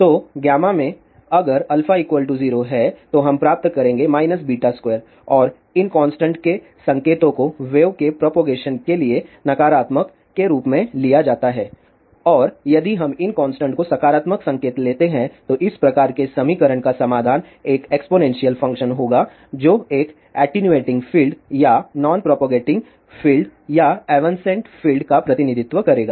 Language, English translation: Hindi, So, in gamma if alpha is 0 then we will get minus beta square and the signs of theseconstants are taken as negative for propagating wave and if we take positive signs of this constant, then the solution of this type of equation will be a exponential function that will represent a attenuating field or a non propagating field or even a cent field